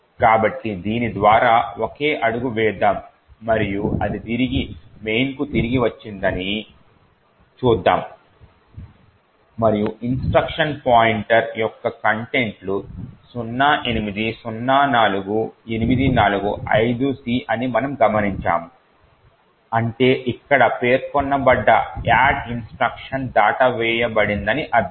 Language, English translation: Telugu, So, let us single step through this and see that it has come back to main and we would note that the contents of the instruction pointer is 0804845C which essentially means that the add instruction which is specified here has been skipped